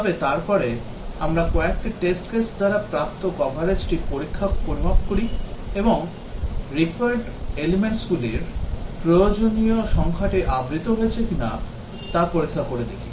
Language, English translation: Bengali, But then we measure the coverage that is achieved by a number of test cases and check whether the required number of the required elements have been covered